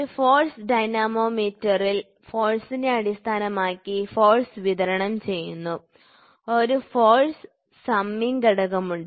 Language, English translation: Malayalam, So, pressure; so, in a force dynamometer here force is supplied based upon the force, there is a force summing member